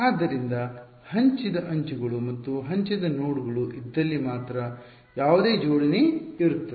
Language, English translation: Kannada, So, only if there are shared edges or shared nodes is there any coupling